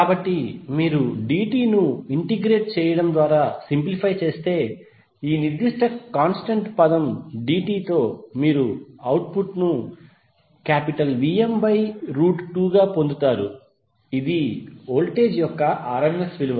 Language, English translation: Telugu, So if you simplify just by integrating dt this particular constant term with dt you will get the output as Vm by root 2